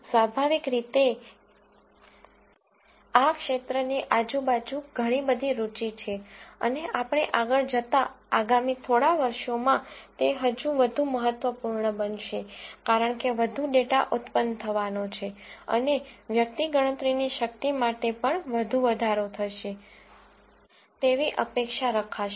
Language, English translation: Gujarati, Obviously, there is a lot of interest this lot of buzz around this field and it is only going to get even more important as we go along because more data is going to be generated and one would expect the computational power to increase even more for the next few years